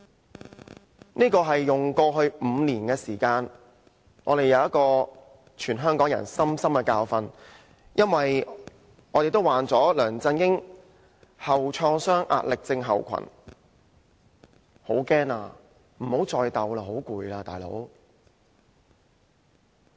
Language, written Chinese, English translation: Cantonese, 這是全香港人用過去5年時間得到的深刻教訓，因為我們也患了"梁振英創傷後壓力症候群"，我們也害怕，不想繼續鬥下去。, This is a painful lesson all the people of Hong Kong have learnt in the past five years for we are all suffering from LEUNG Chun - ying posttraumatic stress disorder . We are scared and we do not want the conflicts to continue